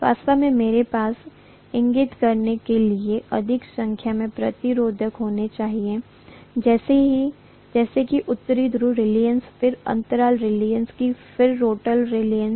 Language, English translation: Hindi, In fact, I should have had more number of resistances to indicate for example, the North pole reluctance, then the gap reluctance, then the rotor reluctance